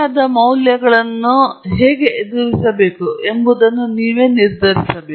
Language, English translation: Kannada, You have to decide how to deal with missing values